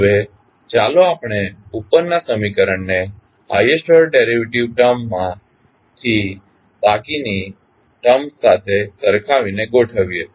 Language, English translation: Gujarati, Now, let us arrange the above equation by equating the highest order derivative term to the rest of the terms